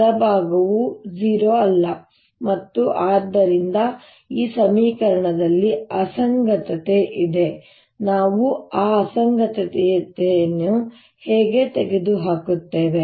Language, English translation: Kannada, also the right hand side is not zero and therefore there is an inconsistency in this equation